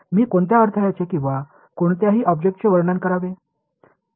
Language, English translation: Marathi, What how should I characterize an obstacle or any object